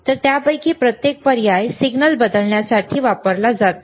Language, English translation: Marathi, So, each of those options are used to change the signal